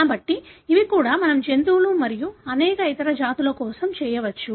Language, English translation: Telugu, So, these are, likewise we can do it for animals and many other species